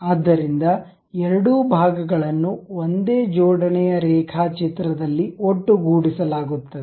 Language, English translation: Kannada, So, both the parts are brought together in a single assembly drawing